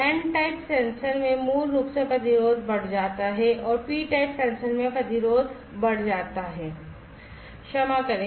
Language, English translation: Hindi, So, in n type sensors basically the resistance increases and in p type sensors the resistance increases, sorry